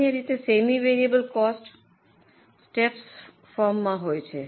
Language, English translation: Gujarati, Usually semi variable cost is in a step form